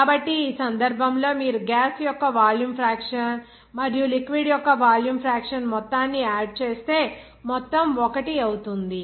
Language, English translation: Telugu, So, in this case, you will see that the volume fraction of gas and volume fraction of liquid if you sum it up, then you will get total will be 1